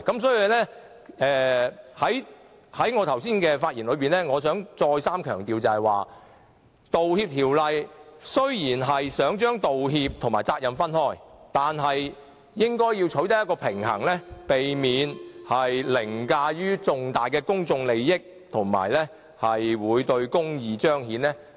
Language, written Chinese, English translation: Cantonese, 所以，在我剛才的發言中，我想再三強調，雖然《條例草案》想將道歉和責任分開，但應該要取得平衡，避免凌駕重大的公眾利益，以及損害公義的彰顯。, I thus have repeatedly stressed just now that although the Bill seeks to separate apologies from liabilities but it should also balance between the two so as not to override major public interests and undermine the administration of justice